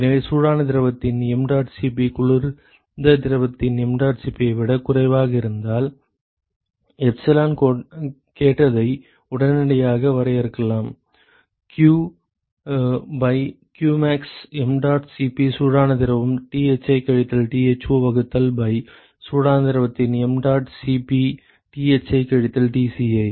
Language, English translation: Tamil, So, therefore, if suppose mdot Cp of the hot fluid is less than mdot Cp of the cold fluid one can immediately define epsilon asked q by qmax mdot Cp hot fluid Thi minus Tho divided by mdot Cp of hot fluid Thi minus Tci